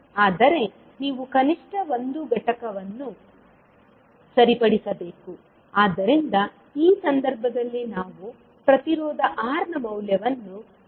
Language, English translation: Kannada, But you have to fix at least one component, so in this case we fixed the value of Resistance R